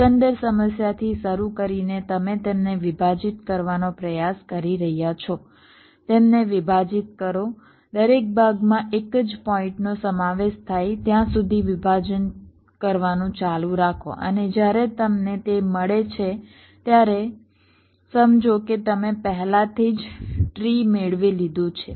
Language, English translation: Gujarati, you are trying to divide them, partition them, go on partitioning till each partition consist of a single point and when you get that you have already obtained the tree right